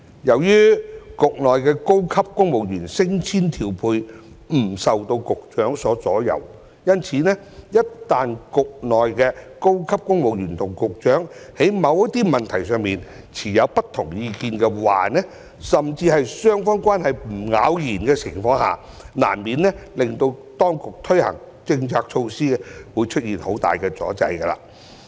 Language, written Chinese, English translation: Cantonese, 由於局內的高級公務員升遷調配不受局長所左右，一旦局內的高級公務員與局長在某些問題上持有不同意見，甚至雙方關係不咬弦的情況下，難免令當局推行政策措施時出現很大的阻滯。, Since the promotion and deployment of senior civil servants in the bureau is not under the Director of Bureaus control in case the senior civil servants in the bureau do not see eye to eye with the Director of Bureau on certain issues or in the event of an at - odds relationship between the two sides there will inevitably be heavy delays in the implementation of policy initiatives